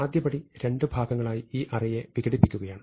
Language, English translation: Malayalam, So, the first step is to break it up into two parts